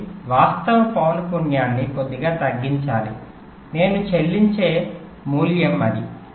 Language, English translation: Telugu, so the actual frequency has to be reduced a little bit